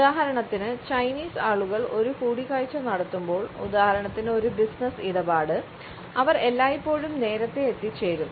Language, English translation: Malayalam, For instance when the Chinese people make an appointment for example a business deal they were always arrive early